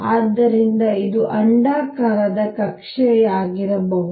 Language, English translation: Kannada, So, it could be an elliptic orbit